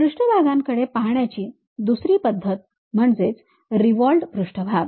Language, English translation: Marathi, The other way of looking at surfaces is revolved surfaces